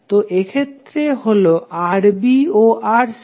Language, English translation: Bengali, So in this case it is Rb and Rc